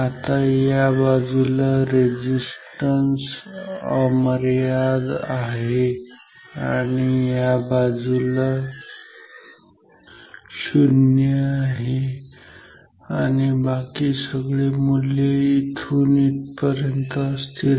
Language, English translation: Marathi, Now so, this side is infinite resistance, this side is 0 resistance and all the other values will be from here to here